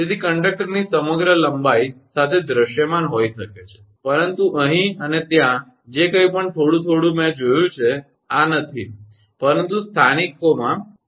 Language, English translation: Gujarati, So, along the whole length of the conductor may be visible, but whatever little bit here and there I have seen, I have not seen this one, but localized I have seen it right